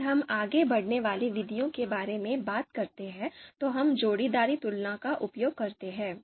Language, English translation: Hindi, If we talk about the outranking methods, so there we use pairwise comparisons